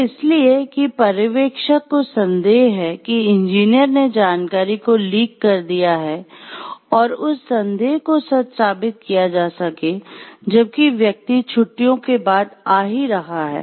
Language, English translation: Hindi, So, just because the supervisor suspects the engineer has having lacked the information based on that suspicion in order to prove that suspicion, while the person is on vacation is coming and searching his desk